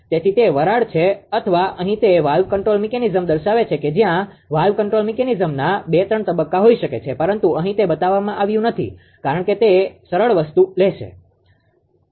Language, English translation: Gujarati, So, valve control mechanism there may be maybe 2 3 stages of valve control mechanism will be there, but here it is here it is not shown right it will take the simple thing